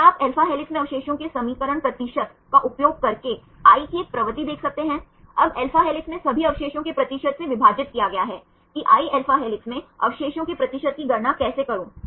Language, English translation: Hindi, So, can you see a propensity of i using the equation percentage of residue i in alpha helix, now divided by percentage of all residues in alpha helix how to calculate the percentage of residues i in alpha helix